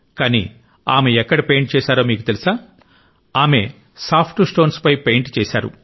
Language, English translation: Telugu, But, did you know where she began painting Soft Stones, on Soft Stones